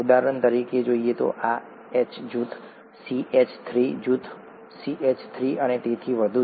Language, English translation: Gujarati, For example, this H group, CH3 group, CH3 and so on